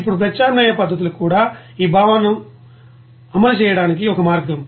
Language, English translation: Telugu, Now substitution methods are one way to implement this concept also